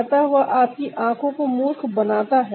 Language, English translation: Hindi, so that is fooling your eyes